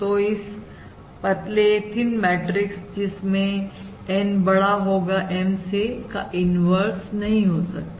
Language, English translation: Hindi, So for this thin matrix, for N greater than M, your inverse does not